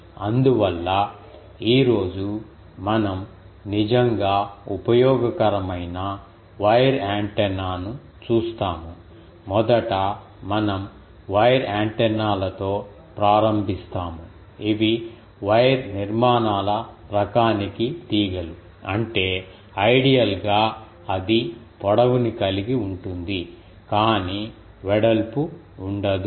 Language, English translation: Telugu, So, that is why we have seen that, today we will see a really useful wire antenna first we are starting with wire antennas, antennas which are wires for type of wire structures; that means, it has length it does not have any ah width ideally